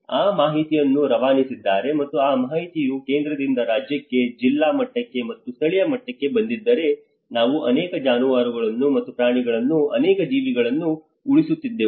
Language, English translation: Kannada, If that information has been passed out and that information has been from central to the state, to the district level, and to the local level, we would have saved many lives we have saved many livestock and as well as animals